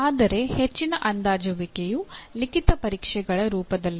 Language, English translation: Kannada, But majority of the assessment is in the form of written examinations